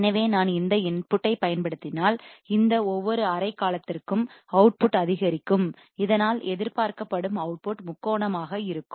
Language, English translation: Tamil, So, if I apply this input, the output for each of these half period would be ramped and thus the expected output would be triangular wave